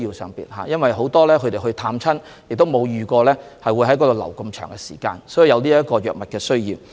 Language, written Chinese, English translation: Cantonese, 由於很多人前往湖北探親，沒有預計會在該地逗留這麼長時間，所以有藥物的需要。, As many people who travelled to Hubei to visit their relatives have not expected to stay there for such a long time they are short of medicine